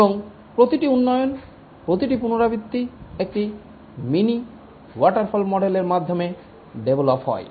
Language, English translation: Bengali, And each iteration is developed through a mini waterfall model